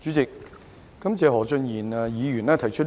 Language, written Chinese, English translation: Cantonese, 主席，感謝何俊賢議員提出這項議案。, President I thank Mr Steven HO for proposing this motion